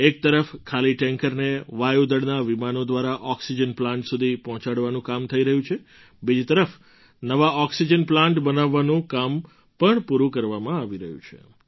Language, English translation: Gujarati, On the one hand empty tankers are being flown to oxygen plants by Air Force planes, on the other, work on construction of new oxygen plants too is being completed